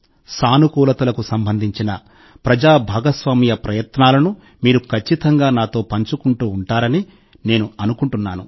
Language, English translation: Telugu, I am of the firm belief that you will keep sharing such efforts of public participation related to positivity with me